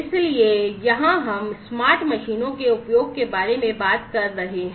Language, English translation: Hindi, So, here we are talking about use of smart machines